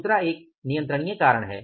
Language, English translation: Hindi, Second is the uncontrollable reason